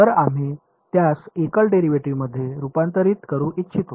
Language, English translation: Marathi, So, we would like to convert it into single derivatives right